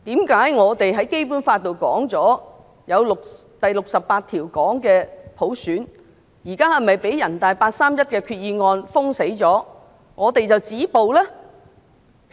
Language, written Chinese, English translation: Cantonese, 《基本法》第六十八條訂明有普選，現在是否因為被人大八三一決定完全封殺，我們便要止步呢？, Article 68 of the Basic Law stipulates clearly that there will be universal suffrage so now must we stop and proceed no further because the 31 August Decision of NPCSC has ruled out all alternatives?